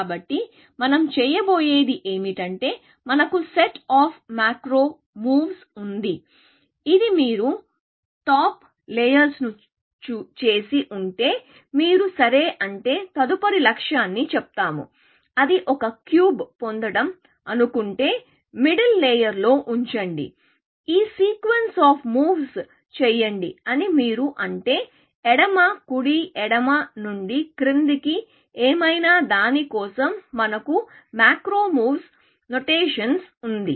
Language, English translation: Telugu, So, what we tend to do is that we have the set of macro moves, which says, if you have done the top layer, then if you want to; let us say the next objective, which is to get; Let us say one cube, let into place in the middle layer; you say do this sequence of moves; left, right, left up down, whatever, we have some notation for that